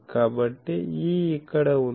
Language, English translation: Telugu, So, E is here